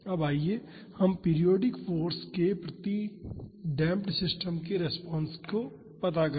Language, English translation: Hindi, Now, let us find the response of damped systems to periodic force